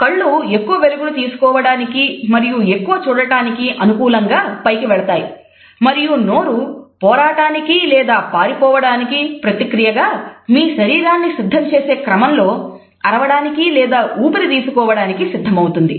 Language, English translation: Telugu, Your eyes go up to take in more light and see more and your mouth is ready to set up your body for the fight or flight response, either to scream or to breath